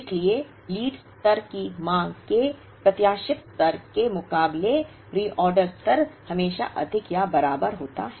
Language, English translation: Hindi, So, reorder level is always greater than or equal to the expected value of lead time demand